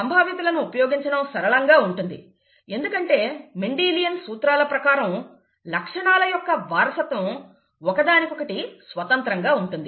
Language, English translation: Telugu, It becomes much easier when we use probabilities, especially because, according to Mendelian principles, the inheritance of characters are independent of each other, okay, law of independence